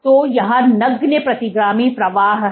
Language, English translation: Hindi, So, there is negligible retrograde flow